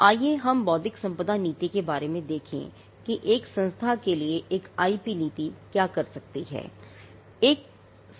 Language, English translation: Hindi, Now, let us look at the intellectual property policy as to what an IP policy can do for an institution